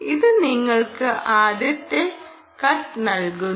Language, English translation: Malayalam, it gives you the first cut right